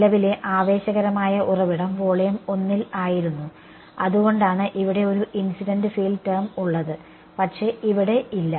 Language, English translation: Malayalam, The current the exciting source was in volume 1 which is why there is a incident field term over here, but not over here ok